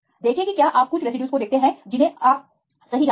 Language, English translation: Hindi, See if you see some residues you know the contacts right